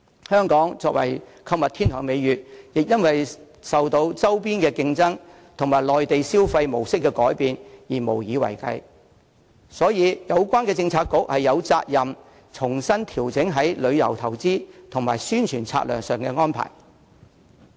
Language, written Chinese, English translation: Cantonese, 香港作為購物天堂的美譽亦因受周邊競爭及內地旅客消費模式的改變而無以為繼，所以有關政策局實有責任重新調整旅遊業投資及宣傳策略上的安排。, Hong Kongs reputation as a shopping paradise is also threatened by competition from neighbouring regions and the change in spending pattern of Mainland visitors and hence the relevant Policy Bureau does have the responsibility to readjust the arrangements made in tourism investment and advertising strategy